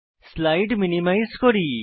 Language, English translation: Bengali, Let me minimize the slides